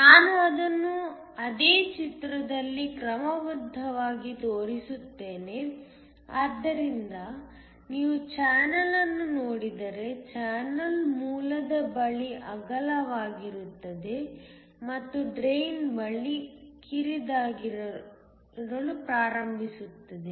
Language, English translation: Kannada, I will just show that schematically on the same figure so that if you look at the channel, the channel is wider near the source and starts to narrow near the drain